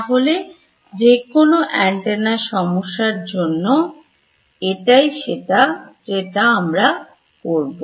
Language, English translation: Bengali, So, in any antenna problem this is going to be what we will do